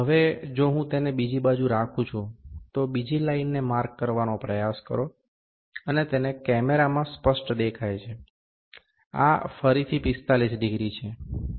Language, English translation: Gujarati, Now, if I keep it the other way round, try to mark another line, ok, to make it look clear in the camera, this is again 45 degree